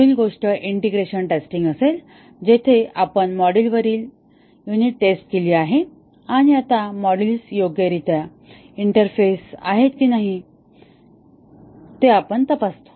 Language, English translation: Marathi, The next thing to do would be the integration testing where we have carried out unit testing on modules and now, we check whether the modules interface properly